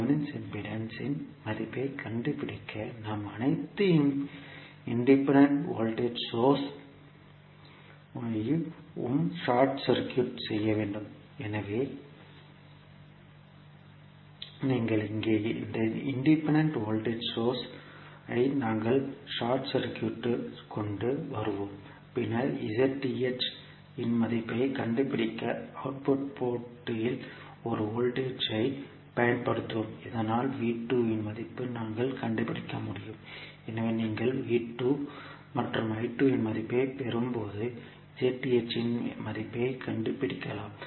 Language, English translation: Tamil, To find out the value of Thevenin impedance we need to short circuit all the independent voltage source, so you here this independent voltage source we will short circuit and then to find out the value of Z Th we will apply one voltage at the output port so that we can find the value of V 2, so when you get the value of V 2 and I 2 you can simply find out the value of Z Th